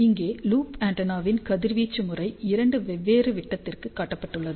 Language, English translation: Tamil, So, here radiation pattern of loop antenna is shown for two different diameters